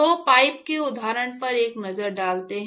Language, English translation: Hindi, So, let us take a look at the pipe example, I described a short while ago